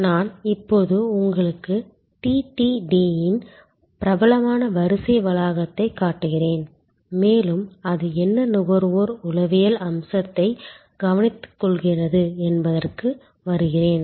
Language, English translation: Tamil, I will just now showing you the famous queue complex of TTD and I will just come to it that what consumer psychology aspect it takes care off